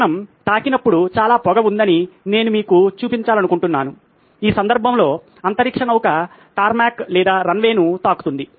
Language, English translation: Telugu, What I would like to demonstrate to you is the fact that there is a lot of smoke when the airplane touches, in this case the space shuttle touches the tarmac or the runway